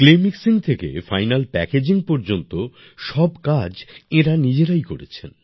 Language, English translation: Bengali, From Clay Mixing to Final Packaging, they did all the work themselves